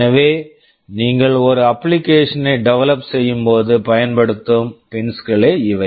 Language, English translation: Tamil, So, these are the pins that you will be using when you are developing an application